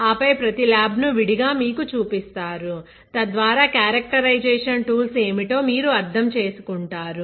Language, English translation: Telugu, And then showing you each lab separately so that you understand what are the characterization tools